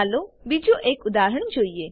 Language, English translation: Gujarati, Lets us see an another example